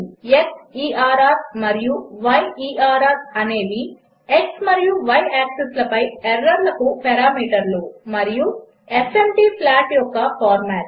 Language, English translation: Telugu, The parameters xerr and yerr are error on x and y axis and fmt is the format of the plot